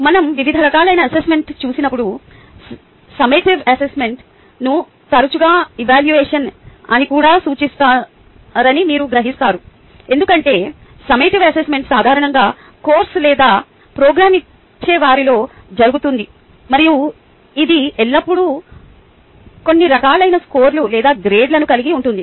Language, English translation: Telugu, when we go through different types of assessment, you would realize that the summative assessment is often referred as evaluation as well, because summative assessment usually happens at the end of the course or a program and it always has some form of scores or grading going forward from here, the important thing to ask is: why do we assess